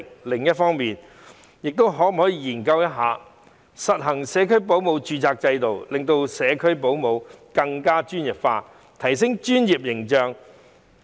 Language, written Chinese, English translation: Cantonese, 另一方面，亦應研究實行社區保姆註冊制度，令社區保姆更專業化，藉以提升專業形象。, In addition it should also conduct a study on introducing a registration system for home - based child carers to professionalize the occupation and enhance their professional image